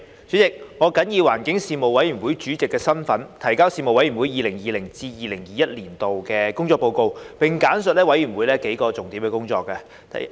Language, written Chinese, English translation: Cantonese, 主席，我謹以環境事務委員會主席的身份，提交事務委員會 2020-2021 年度的工作報告，並簡述事務委員會幾項重點工作。, President in my capacity as Chairman of the Panel on Environmental Affairs the Panel I submit the work report of the Panel for 2020 - 2021 and briefly highlight its work in several key areas